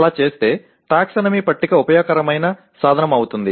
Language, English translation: Telugu, And in doing so, the taxonomy table is a useful tool